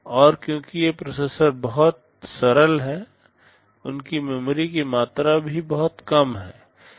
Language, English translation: Hindi, And because these processors are very simple, the amount of memory they have is also pretty small